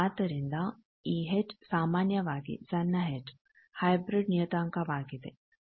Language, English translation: Kannada, So, this H is generally, small h the hybrid parameters